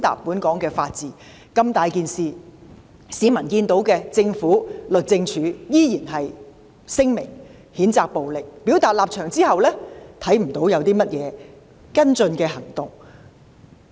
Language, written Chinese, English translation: Cantonese, 面對這一重大事件，政府和律政司依然只是發出聲明譴責暴力，在表達立場後沒有採取其他跟進行動。, In response to this major incident the Government and the Department of Justice still only issued a statement condemning such violence and expressing their stance without taking other follow - up actions